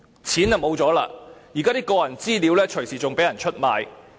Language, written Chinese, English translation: Cantonese, 大家已經失了錢，甚至連個人資料也隨時會被人出賣。, We have lost our money and are under the risk of having our personal data sold